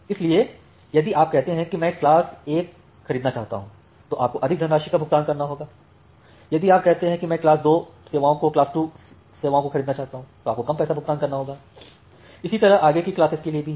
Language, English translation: Hindi, So, if you say that I want to purchase class 1 you have to pay more money, if you say that I want to purchase class 2 service, you have to pay little less money and so on